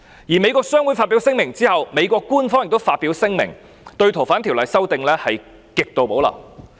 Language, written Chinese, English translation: Cantonese, 在美國商會發表聲明後，美國官方也發表聲明，對該條例的修訂也是極度保留。, Subsequent to the two statements of the American Chamber of Commerce in Hong Kong the United States Government also issued a statement to express its extreme reservation about the legislative amendment